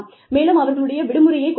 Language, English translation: Tamil, You could, cut down on their vacations